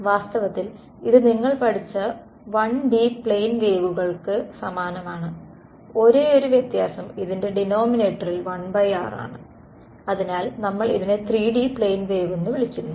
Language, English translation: Malayalam, In fact, it looks identical to the 1D plane waves you have studied, the only difference is that this a 1 by r in the denominator and so, we call this as a 3D plane wave right